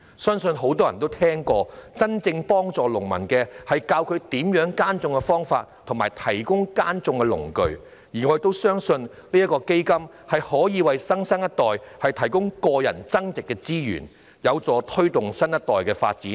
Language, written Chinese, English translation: Cantonese, 相信很多人都聽過，真正幫助農民的方法，是教授他們耕種的方法和提供耕種的農具，而我相信基金正正可以為新生代提供個人增值資源，扶助下一代的發展。, Many of us have heard that the best way to genuinely help farmers is to teach them farming methods and provide them with farm tools . The Fund in my view is the very tool to provide the new generation with resources for their self - enhancement and development